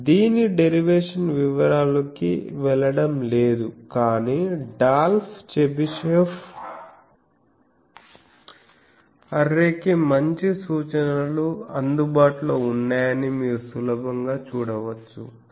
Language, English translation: Telugu, So, this is involved I am not going into details of derivation, but Dolph Chebyshev array you can easily see there are good references available